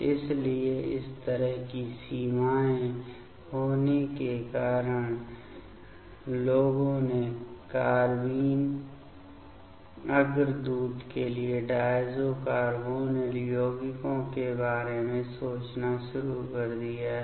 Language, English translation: Hindi, So, having this having such limitations people have started to thinking about diazo carbonyl compounds for the carbene precursor ok